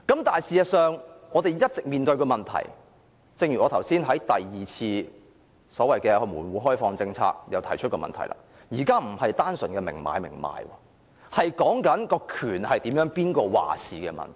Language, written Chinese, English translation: Cantonese, 但是，事實上，正如我剛才談及第二次門戶開放政策時也提出一個問題，現在不是單純的明買明賣關係，而是誰人擁有話事權的問題。, But as I said just now when I talked about the second policy on reform and opening - up the problem now is that the relationship is not one of an explicit transaction . It is about who has the say